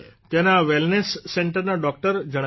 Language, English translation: Gujarati, The doctor of the Wellness Center there conveys